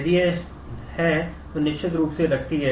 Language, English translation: Hindi, If it is, then certainly holds